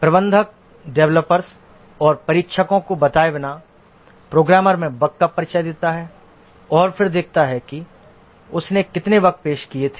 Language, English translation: Hindi, The manager introduces bugs into the program without telling the developers or testers and then observes how many of the bugs that he had introduced are getting detected